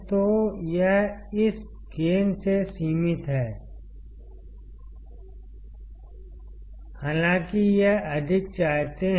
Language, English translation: Hindi, So, it is limited by this gain; even though want it higher